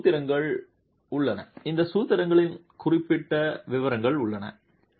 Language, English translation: Tamil, So, there are formulations, there are specific details of these formulations